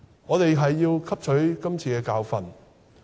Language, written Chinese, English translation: Cantonese, 我們要汲取今次的教訓。, We have to learn this lesson